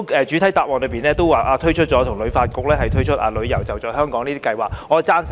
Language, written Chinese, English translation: Cantonese, 主體答覆提到政府跟旅發局推出的"旅遊.就在香港"計劃，我是贊成的。, The Secretary mentioned in the main reply about the Holiday at Home campaign launched by HKTB . I support that idea